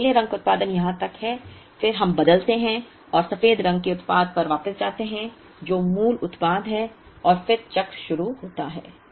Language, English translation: Hindi, So, the blue color production is up to here then we changeover and go back to the white color product which is the original product and then the cycle begins